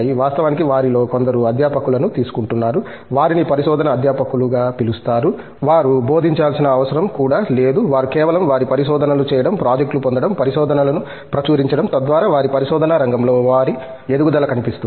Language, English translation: Telugu, In fact, some of them are taking up faculty, who are being called as research faculty, they donÕt need to even teach, they simply their job is to keep on doing research, get projects, to publish paper so that their visibility in the research arena is grown